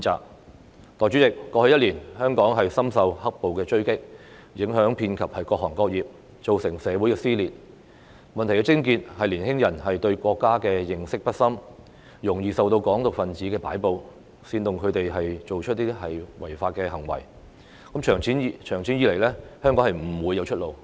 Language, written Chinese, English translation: Cantonese, 代理主席，過去一年，香港深受"黑暴"的追擊，影響遍及各行各業，造成社會撕裂，問題的癥結是年輕人對國家的認識不深，容易受到"港獨"分子的擺布，煽動他們做出違法行為，長此下去，香港不會有出路。, Deputy Chairman Hong Kong has suffered a lot under black - clad violence in the past year which has affected all sectors and caused social division . The crux of the problem is that due to a lack of understanding of the country young people tend to be easily manipulated by advocates of Hong Kong independence who incited them to commit illegal acts . There will be no way out for Hong Kong if this situation continues in the long run